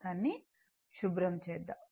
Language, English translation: Telugu, Let me clear it